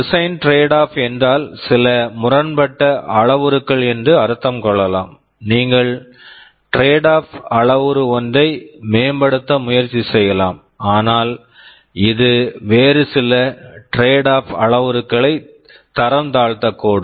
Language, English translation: Tamil, Design trade off means there can be some conflicting parameters; you can try to improve one of the parameter, but it might degrade some other parameter